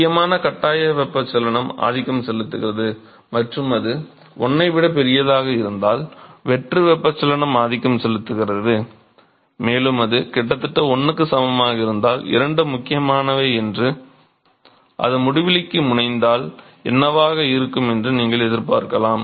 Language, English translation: Tamil, Re forced convection which is important forced convection dominates and if it is much larger than 1 free convection dominates, and if it almost equal to 1 then you would expect that both are important and what if it tends to infinity